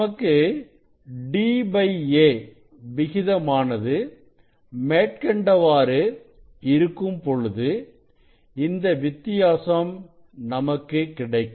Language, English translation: Tamil, if we get different ratio of this d and a you can see the variation of that